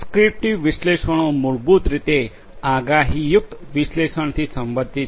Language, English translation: Gujarati, Prescriptive analytics basically is related to the predictive analytics